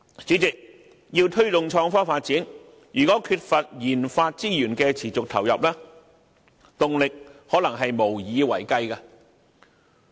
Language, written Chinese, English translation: Cantonese, 主席，要推動創科發展，如果缺乏研發資源的持續投入，動力可能無以為繼。, President promoting innovation and technology development without any continuous injection of resources in research and development may only result in a loss in the development momentum